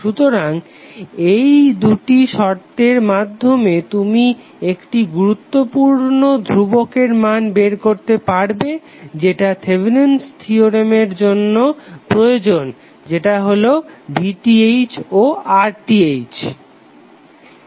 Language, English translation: Bengali, So with these two conditions you can find the value of the important parameters which are required for Thevenin’s theorem which are VTh and RTh